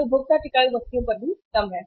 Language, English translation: Hindi, It is on the consumer durables also but less